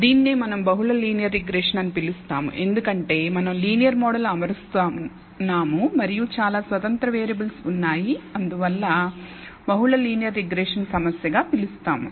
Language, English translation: Telugu, This is what we call multiple linear regression because we are fitting a linear model and there are many independent variables and we therefore, call the multiple linear regression problem